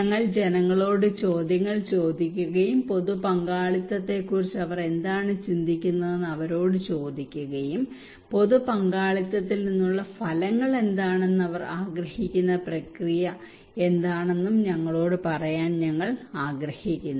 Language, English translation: Malayalam, We gave questions to the people and asking them that what they think about the public participations, we wanted to tell them that tell us that what are the outcomes and what are the process they want from public participations